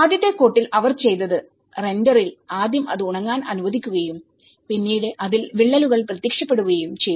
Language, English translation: Malayalam, And in the first coat, what they did was in the render they first allowed it to dry and then cracks have appeared on it